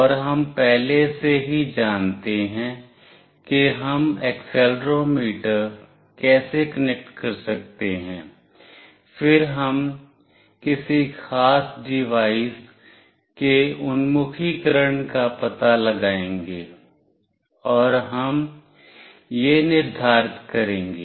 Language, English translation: Hindi, And we already know how we can connect accelerometer, then we will figure out the orientation of any particular device, and we will determine that